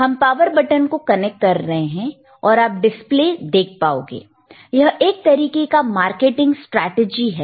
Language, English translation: Hindi, So, we are connecting the power button, and you will see the display, it is always a marketing strategy